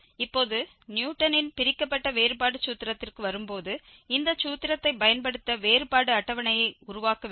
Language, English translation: Tamil, Now, coming to the Newton's Divided Difference formula, we have to construct the difference table to use this formula